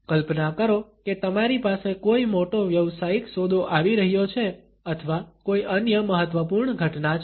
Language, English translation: Gujarati, Imagine you have a major business deal coming up or some other important event